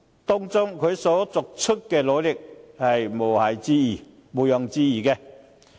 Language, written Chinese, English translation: Cantonese, 他在這方面作出的努力確實毋庸置疑。, His efforts on this front are indeed beyond question